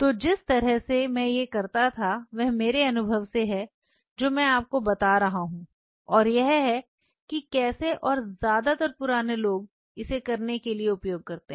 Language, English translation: Hindi, So, the way I used to do it this is from my experience I am telling you and this is how and most of the old school people use to do it